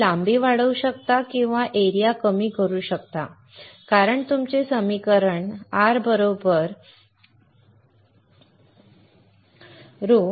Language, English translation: Marathi, You can either increase the length or you can decrease the area because your equation is R= (ρL/A)